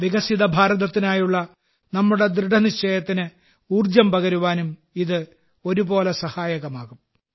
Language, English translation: Malayalam, This will provide a fillip to the pace of accomplishing our resolve of a developed India